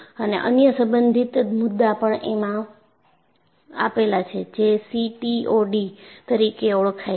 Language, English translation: Gujarati, And there is also another related concept, which is known as CTOD